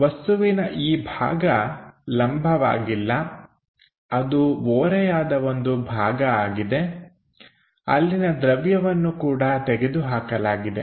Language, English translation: Kannada, So, this part of the material is not perpendicular that is in inclined way one has removed that material also